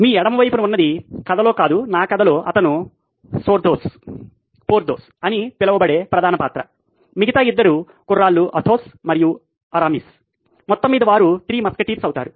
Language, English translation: Telugu, The one on your left is my main character well not in the story but in my story he is the main character called Porthos, the other 2 guys are Athos and Aramis totally they make the Three Musketeers